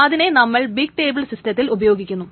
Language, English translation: Malayalam, And that is being used for this big table systems